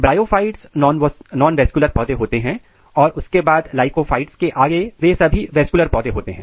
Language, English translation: Hindi, So, the bryophytes which belongs to the nonvascular plants and then lycophytes onwards they belong to the vascular plants